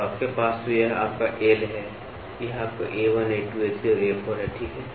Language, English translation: Hindi, So, you have so this is your L, this is your A1, A2, A3, A4, ok